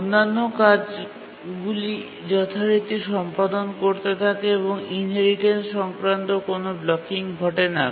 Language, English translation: Bengali, The other tasks continue to execute as usual, no inheritance related blocking occurs